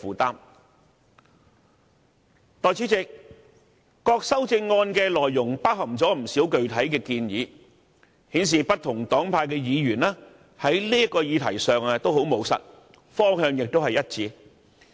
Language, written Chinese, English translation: Cantonese, 代理主席，各項修正案的內容包含了不少具體建議，顯示不同黨派的議員在這個議題上都很務實，方向亦一致。, Deputy President a number of proposals were included in the amendments showing that Members of different political parties and groupings all adopt a pragmatic approach and follow the same direction on this subject